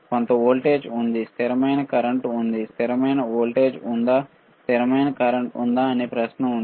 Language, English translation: Telugu, Some voltage is there constant current is there what is there constant voltage is there constant current is there is a question, right